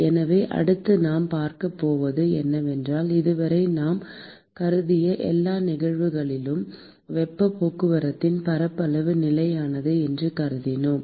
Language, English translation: Tamil, So, next what we are going to see is, we assumed so far in all the cases that we considered, that the area of heat transport is constant